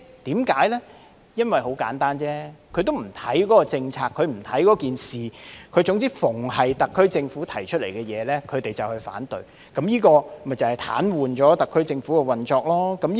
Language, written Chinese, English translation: Cantonese, 很簡單，因為他們不是針對那些政策或事宜，只要是特區政府提出來的事宜或政策，他們便會反對，務求癱瘓特區政府的運作。, Very simply because they do not care what the policies or issues are . So long as the issues or policies are proposed by the SAR Government they will oppose with a view to paralysing the operation of the SAR Government